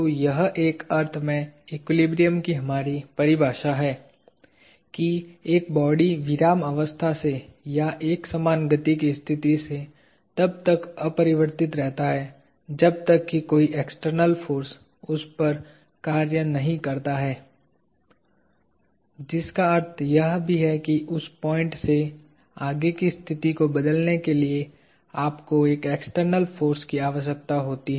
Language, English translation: Hindi, So, that in a sense is our definition of equilibrium that, a body at rest or in a state of uniform motion remains unchanged unless an external force acts upon it; which also means that, you require an external force to change the state from that point forward